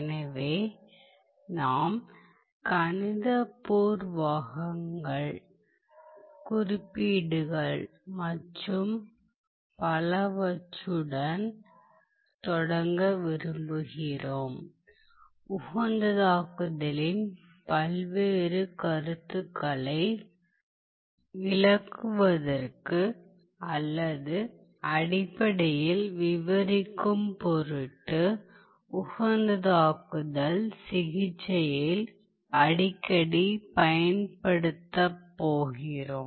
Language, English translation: Tamil, So, we want to start with the mathematical preliminaries, the notation and so on that we are going to use frequently in our treatment of optimization in order to illustrate or in order to basically describe the various concepts of optimization ok